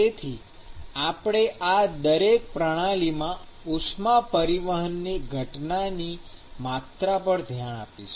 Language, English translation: Gujarati, So, we will be looking at the quantitation of the heat transport phenomena in each of these systems